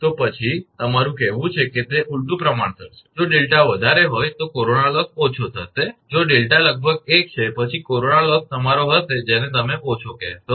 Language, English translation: Gujarati, So next is, your I mean it is inversely proportional, if delta is high corona loss will be low, if delta is nearly 1 then corona loss will be your what you call low